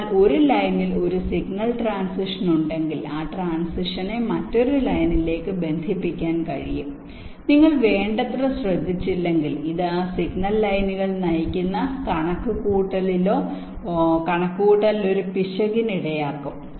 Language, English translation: Malayalam, so because of that, if there is a signal transition on one line, that transition can get coupled to the other line and if are not careful enough, this can lead to an error in the calculation or computation which those signal lines are leading to